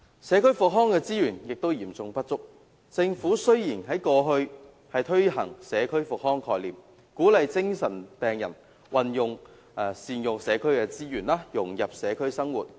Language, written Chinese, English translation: Cantonese, 社區復康資源也嚴重不足，雖然政府在過去推行社區復康概念，鼓勵精神病人善用社區資源，融入社區生活。, Community rehabilitation resources are also seriously inadequate despite the efforts previously made by the Government to promote the community rehabilitation concept to encourage psychiatric patients to make good use of community resources and integrate into the community